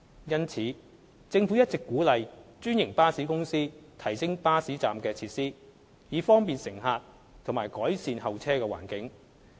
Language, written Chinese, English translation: Cantonese, 因此，政府一直鼓勵專營巴士公司提升巴士站的設施，以方便乘客及改善候車環境。, Therefore the Government has been encouraging franchised bus companies to enhance the bus stop facilities for the convenience of passengers and better waiting environment